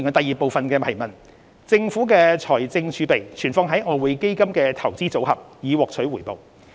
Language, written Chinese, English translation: Cantonese, 二政府的財政儲備存放於外匯基金的"投資組合"，以獲取回報。, 2 The Government has placed its fiscal reserves with the Investment Portfolio of EF in order to earn a return